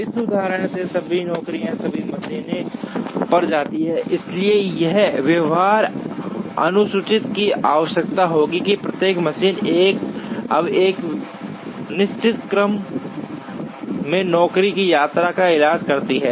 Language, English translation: Hindi, In this example all the jobs visit all the machines, so a feasible schedule will require that each machine, now treats the job visit in a certain order